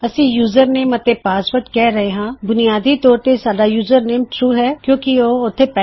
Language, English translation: Punjabi, We are saying username and password basically username itself is true because it exists..